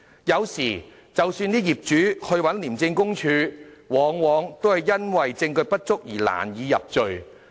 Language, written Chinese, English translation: Cantonese, 有時候，即使業主向廉政公署舉報，往往因為證據不足而難以入罪。, Sometimes though property owners have made report to the Independent Commission Against Corruption ICAC those syndicates will seldom be convicted in the lack of evidence